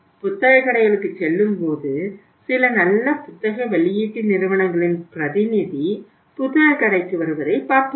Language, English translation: Tamil, We have seen in many cases when we visit the bookstores some good book uh publishing houses their representative come to the bookstore